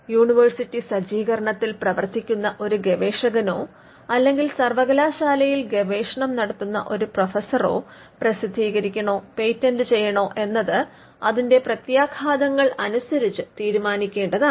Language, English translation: Malayalam, The most important thing for a researcher who works in the university setup or a professor who has research being done in the university they need to take a call on the implications of whether to publish or to patent